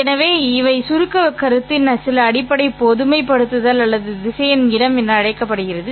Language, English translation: Tamil, So, these are some basic generalization of the abstract concept known as vector space